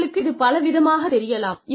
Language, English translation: Tamil, I know, you can see it in many ways